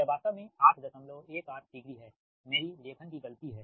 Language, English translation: Hindi, it is actually my writing mistake